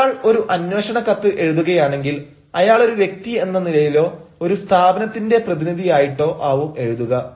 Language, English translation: Malayalam, now, when somebody writes a letter of enquiry, you know because he is writing as an individual or as a representative of an organization